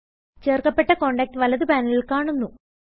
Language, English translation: Malayalam, The contact is added and displayed in the right panel